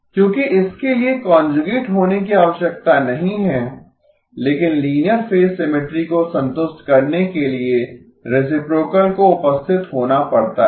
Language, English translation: Hindi, Because this does not need to have conjugate but the reciprocal has to be present in order for the linear phase symmetry to be satisfied